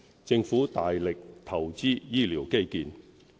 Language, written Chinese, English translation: Cantonese, 政府大力投資醫療基建。, The Government has invested heavily in health care infrastructure